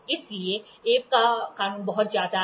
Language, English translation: Hindi, So, Abbe’s law is very much